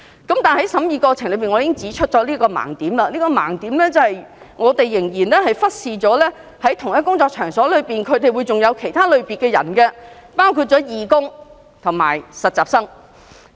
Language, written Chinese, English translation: Cantonese, 但是，在審議過程中，我指出一個盲點，便是我們仍然忽視了在同一工作場所中，還會有其他類別的人，包括義工和實習生。, However during scrutiny of the Bill I pointed out a loophole . We omitted the fact that there could be other types of participants in the same workplace such as volunteers and interns